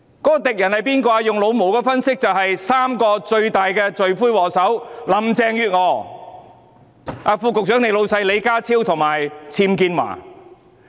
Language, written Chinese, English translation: Cantonese, 按照"老毛"的角度分析，敵人正是三大罪魁禍首，即林鄭月娥，副局長的上司李家超及"僭建驊"。, Analysing from MAOs perspective there are three major culprits namely Carrie LAM the Under Secretarys supervisor John LEE and Teresa UBWs